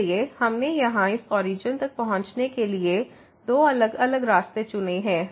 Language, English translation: Hindi, So, we have chosen two different paths to approach this origin here